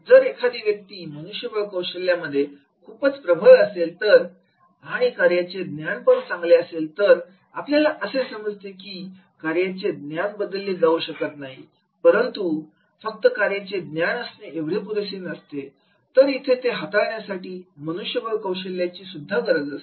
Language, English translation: Marathi, If the person is very strong in the HR skills also in addition to the job knowledge, so we can understand that is the job knowledge cannot be replaced but that is only job knowledge is not enough, that has to be supported by the HR skills